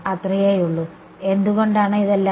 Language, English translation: Malayalam, That is all, and why is it all